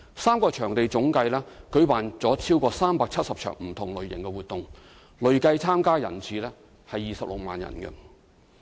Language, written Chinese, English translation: Cantonese, 三個場地總計已舉辦了超過370場不同類型的活動，累計參與人次為26萬。, Over 370 events of different natures have been held in these three venues with 260 000 participant visits